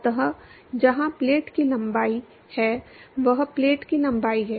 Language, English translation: Hindi, So, where the length of the plate is l; that is the length of the plate